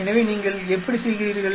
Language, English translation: Tamil, So, how do you do